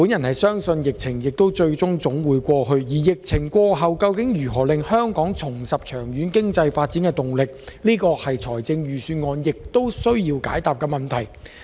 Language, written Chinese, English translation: Cantonese, 我相信疫情總會過去，但疫情過後如何令香港重拾長遠經濟發展動力，這才是財政預算案需要解答的問題。, I am sure the epidemic will end someday but how can Hong Kong regain its momentum of long - term economic growth after the epidemic is the question that the Budget has to answer